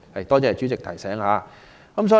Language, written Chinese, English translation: Cantonese, 多謝主席提醒。, Thank you for your reminder President